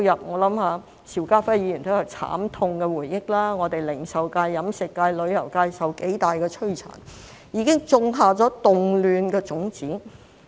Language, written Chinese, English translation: Cantonese, 我想邵家輝議員也有慘痛回憶，零售界、飲食界、旅遊界受到很大摧殘，已經種下了動亂的種子。, I think that Mr SHIU Ka - fai also has bitter memories as the retail catering and tourism sectors were devastated . The seeds of unrest have been sown